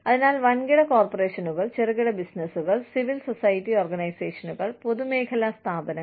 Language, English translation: Malayalam, So, large corporations, small businesses, civil society organizations, and public sector organizations